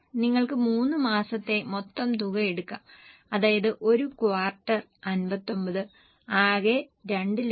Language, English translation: Malayalam, You can take the total for all the three months that is the quarter 59 and the total is 2